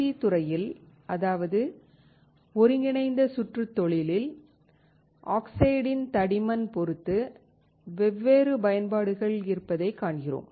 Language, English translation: Tamil, In Integrated Circuit industry, we find that depending on the thickness of the oxide you have different applications